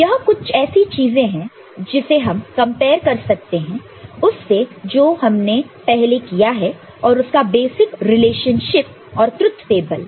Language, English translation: Hindi, So, this is something which we can compare with what we have done in the past and the basic relationship and the truth table